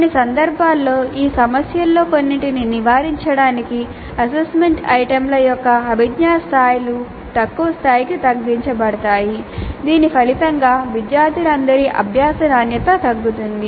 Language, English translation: Telugu, And in some cases the cognitive levels of assessment items are reduced to lower levels to avoid some of these issues resulting in reducing the quality of learning of all students